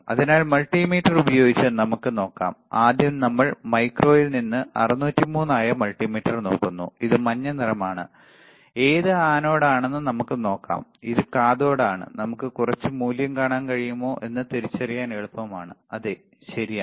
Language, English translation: Malayalam, So, let us see with multimeter, first we are looking at the multimeter which is 603 from mico this is yellowish one, yellow colour and let us see the which is anode, which is cathode it is easy to identify if we can see some value yes, right